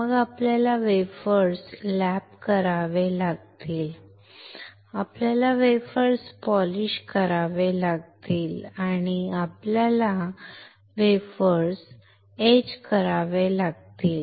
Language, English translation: Marathi, Then we have to lap the wafers ,we had to polish the wafers and we have to etch the wafers